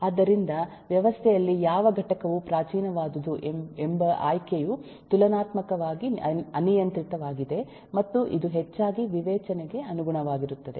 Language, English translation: Kannada, so the choice of what component in a system is primitive is relatively arbitrary and is largely up to the discretion